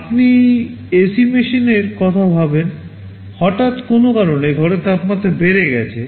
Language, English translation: Bengali, You think of ac machine, suddenly due to some reason the temperature of the room has gone up